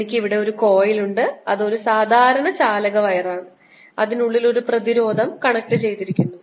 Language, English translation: Malayalam, and i have here a coil which is a regular conducting wire with a resistance connected here